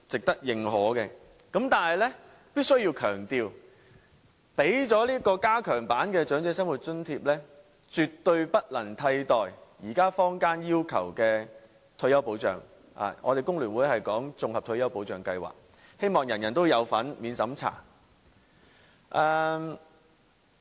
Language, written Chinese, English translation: Cantonese, 但是，我必須要強調，政府即使提供加強版的長者生活津貼，也絕對不能替代現在坊間要求的退休保障，工聯會則稱之為綜合退休保障計劃，希望人人有份、免審查。, Although it should be recognized that the Governments proposal for enhancing the Old Age Living Allowance OALA in the Policy Address does provide more protection to those in need I must stress that the retirement protection demanded by the public now is definitely not replaceable by the enhanced OALA . FTU calls this retirement protection the Integrated Retirement Protection Plan which should be payable to all without any means test